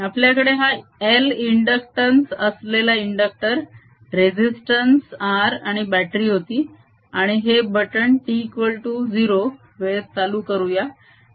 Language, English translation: Marathi, we have this inductor with inductance l, a resistance r and a battery, and let's turn this switch on at t equal to zero